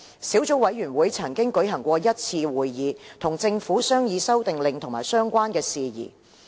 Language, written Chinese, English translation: Cantonese, 小組委員會曾舉行1次會議，與政府商議《修訂令》及相關事宜。, The Subcommittee has held one meeting to discuss the Amendment Order and its related matters with the Administration